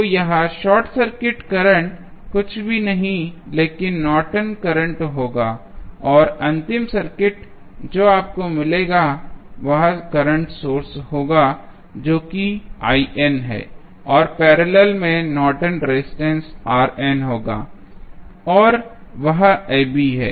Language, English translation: Hindi, So, this short circuit current will be nothing but the Norton's current and the final circuit which you will get would be the current source that is I n and in parallel with you will have the Norton's resistance R n and that is AB